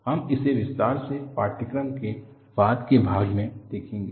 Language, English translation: Hindi, We would see in detail during the later part of the course